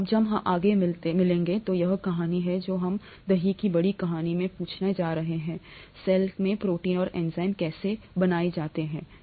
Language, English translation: Hindi, When we meet up next, this is the story that we are going to ask in the larger story of curd making, how are proteins and enzymes made in the cell, okay